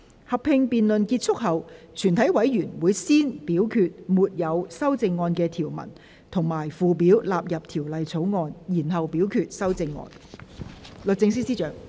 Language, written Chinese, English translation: Cantonese, 合併辯論結束後，全體委員會會先表決沒有修正案的條文及附表納入《條例草案》，然後表決修正案。, Upon the conclusion of the joint debate the committee will first vote on the clauses and schedules with no amendment standing part of the Bill and then the amendments